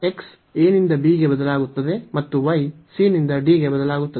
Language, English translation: Kannada, So, x varies from a to b and y varies from c to d